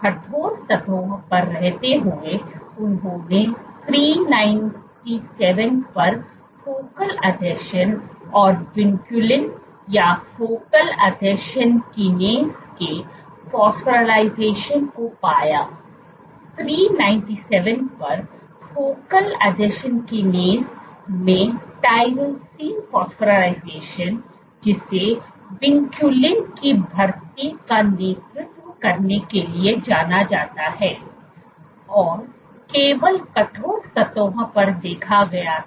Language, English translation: Hindi, While on stiff surfaces, they found focal adhesions and vinculin or phosphorylation of focal adhesion kinase at 397, tyrosine phosphorylation at of focal adhesion kinase at 397, which is known to lead to recruitment of vinculin was only observed on stiff surfaces